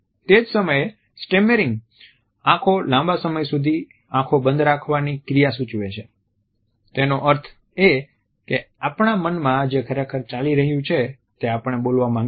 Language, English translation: Gujarati, At the same time stammering eyes suggest an action of keeping the eyes closed for prolonged periods of time; that means, that we do not want to speak out what exactly is in our mind